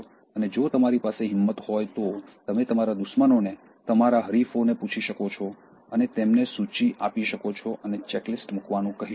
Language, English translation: Gujarati, And if you have the guts, you can ask your enemies, your rivals and give them the list and tell them to put a checklist